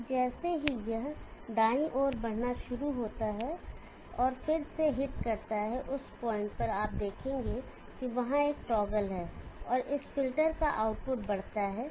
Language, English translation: Hindi, So as it starts moving to the right again goes and hits at that point again you will see that there is a toggle, and this filter output increases duty cycle is increasing toggles again